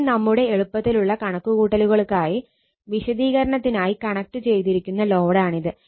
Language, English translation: Malayalam, And this is the load connected for the sake of our calculations easy calculations are for the sake of explanation